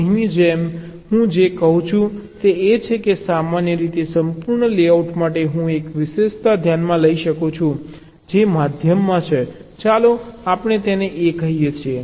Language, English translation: Gujarati, what i am saying is that, in general, for a complete layout, so i may consider a feature which is inside, in the middle, lets say a